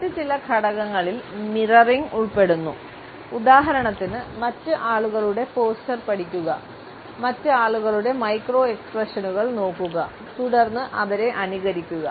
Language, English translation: Malayalam, Certain other steps include mirroring for example, is studying the poster of other people, looking at the micro expressions of other people and then certainly mimicking them